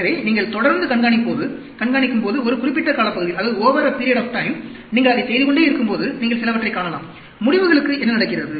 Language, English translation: Tamil, So, as you keep monitoring, over a period of time, as you keep doing that, you can see some, what is happening to the results